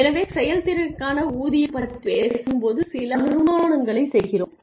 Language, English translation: Tamil, So, when we talk about pay for performance, we make a few assumptions